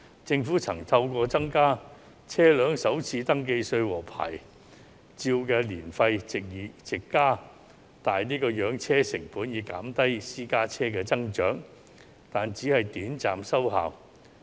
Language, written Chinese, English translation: Cantonese, 政府曾透過增加車輛首次登記稅及牌照年費，藉此增加養車成本以減低私家車數目增長，但只是短暫收效。, The Government has tried to reduce the growth of private cars by raising the First Registration Tax and Annual Licence Fee in order to increase the costs of maintaining a car but the effect was short - lived